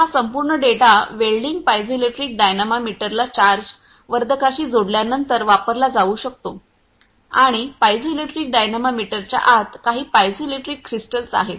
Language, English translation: Marathi, So, this whole data can be used after welding piezoelectric dynamometer has been connected with a charge amplifier and this inside the piezoelectric dynamometer few piezoelectric crystals are there